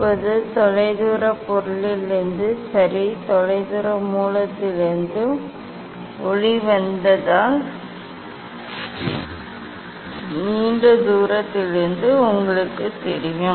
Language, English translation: Tamil, now you know from distant object ok, from distance source, from long distance if light comes